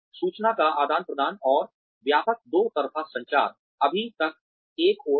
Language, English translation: Hindi, Information sharing, and extensive two way communication, is yet another one